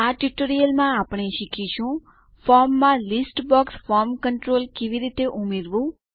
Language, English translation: Gujarati, So in this tutorial, we will learn how to add a List box form control to our form